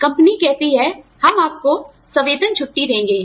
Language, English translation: Hindi, Company says, I will give you a paid vacation